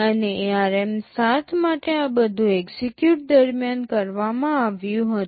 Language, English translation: Gujarati, And for ARM7 all of these were done during execute